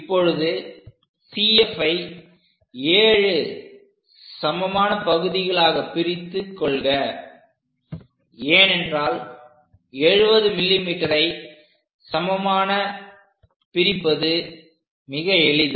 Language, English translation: Tamil, Now divide CF into 7 equal parts, because it is 70 mm is quite easy for us to divide this line